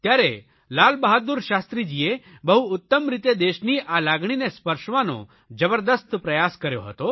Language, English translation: Gujarati, Then, Lal Bahadur Shashtri Ji had very aptly tried to touch the emotional universe of the country